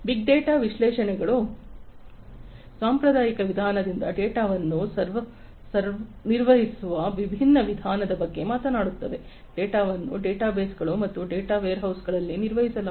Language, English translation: Kannada, Big data analytics talks about a different way of handling data from the conventional way, data are handled in databases and data warehouses